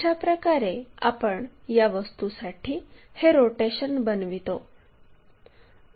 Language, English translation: Marathi, This is the way we re rotate that object